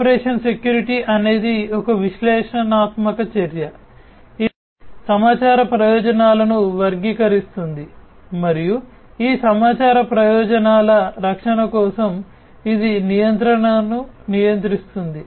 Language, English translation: Telugu, Operation security is an analytical action, which categorizes the information benefits and for protection of these information benefits, it regulates the control